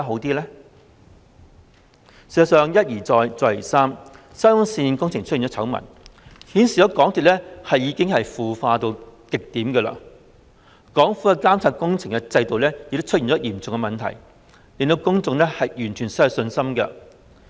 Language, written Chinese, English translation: Cantonese, 事實上，沙中線工程一而再、再而三出現醜聞，顯示港鐵公司已經腐化至極點，政府的監察工程制度亦出現嚴重問題，令公眾完全失去信心。, As a matter of fact scandals of the SCL Project have broken out one after another indicating extreme rottening of MTRCL . Serious problems have also emerged in the Governments works monitoring system thus making members of the public completely lose their confidence